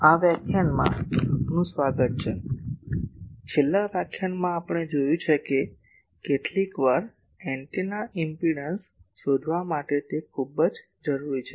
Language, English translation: Gujarati, Welcome to this lecture, in the last lecture we have seen that sometimes, it is very much necessary to find out the antennas impedance